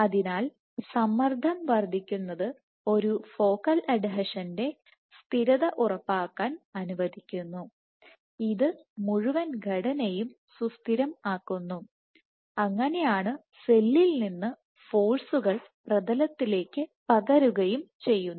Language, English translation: Malayalam, So, increasing tension allows stabilize stabilization of a focal adhesion the entire structure gets stabilized and that is how we are and the substrate the forces get transmitted from the cell to the substrate